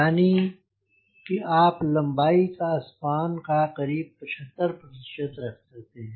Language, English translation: Hindi, that is, the total length is around seventy five percent of the total span